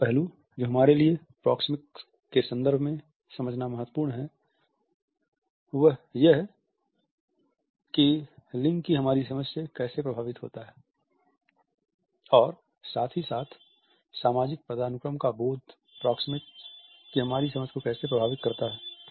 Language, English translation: Hindi, Another aspect which is significant for us to understand in the context of proxemics is how it is affected by our understanding of gender and at the same time how does our understanding of social hierarchy influences our understanding of proximity